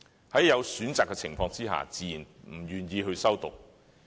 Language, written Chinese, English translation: Cantonese, 在有選擇的情況下，他們自然不願意修讀。, Given the choice they naturally do not want to take it